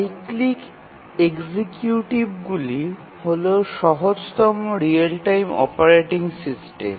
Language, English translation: Bengali, The cyclic executives are the simplest real time operating systems